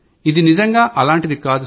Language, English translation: Telugu, It is not like that